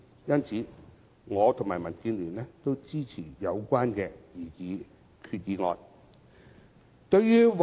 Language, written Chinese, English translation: Cantonese, 因此，我和民主建港協進聯盟均支持擬議決議案。, Therefore the Democratic Alliance for the Betterment and Progress of Hong Kong and I support the proposed resolutions